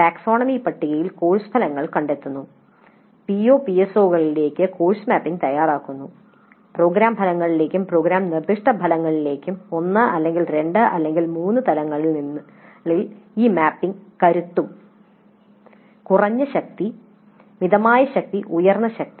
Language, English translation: Malayalam, So, locating the course outcomes in the taxonomy table, preparing course to PO, PSOs, COs to program outcomes and program specific outcomes and the strength of this mapping at the levels of 1 or 2 or 3, low strength, moderate strength, high strength